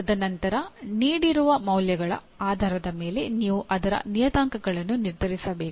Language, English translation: Kannada, And then based on the values given you have to determine the parameters of that